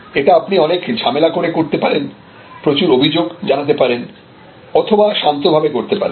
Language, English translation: Bengali, So, you can do that by making a lot of noise, you can by making a lot of complaint or you can do it quietly